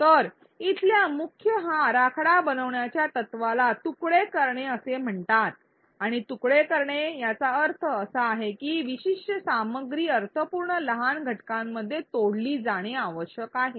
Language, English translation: Marathi, So, the main design principle here is called chunking and what chunking means is that certain content needs to be broken up into meaningful smaller units